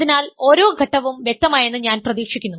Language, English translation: Malayalam, So, each step I hope is clear